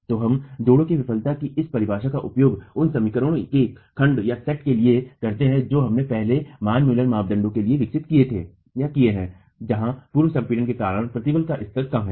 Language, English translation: Hindi, So, we use this definition of failure of the joint itself to the set of equations that we have developed earlier for the Manmuller criterion in the case where the level of stress is due to pre compression is low